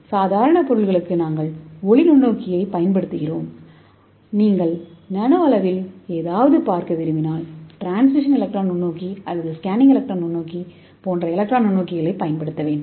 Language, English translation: Tamil, So for normal objects you have to use the light microscope but when you want to see something in the nano structure, nano level you have to use electron microscope like transmission electron microscope or scanning electron microscope to the nano scale structures